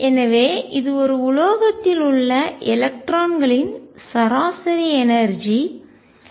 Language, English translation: Tamil, So, this is the average energy of electrons in a metal